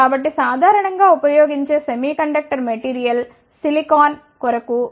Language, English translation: Telugu, So, the most commonly used semiconductor material is silicon the band gap for silicon is 1